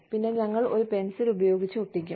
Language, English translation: Malayalam, And, we would stick a pencil in